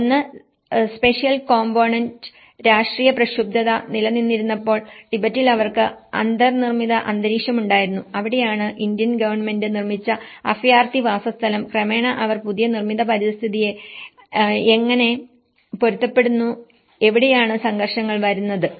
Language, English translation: Malayalam, One is a spatial component, what they know, what they have inbuilt environment in Tibet and when the political turmoil existed, then that is where the refugee settlement built by the Indian government and gradually, how they adapt the new built environment that is where the conflicts arrives